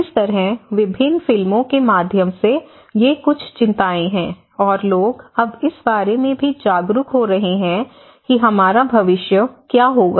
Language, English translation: Hindi, In that way, these are some concerns through various films and people are also now becoming aware of what is going to be our future